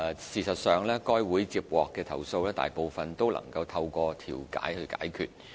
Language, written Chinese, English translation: Cantonese, 事實上該會接獲的投訴，大部分都能透過調停解決。, In fact the majority of complaints received by the Council can be resolved through conciliation